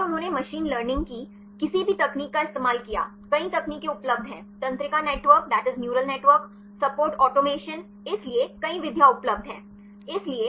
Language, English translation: Hindi, And they used any of the machine learning techniques, there are several techniques available neural network, support automations; so, many methods available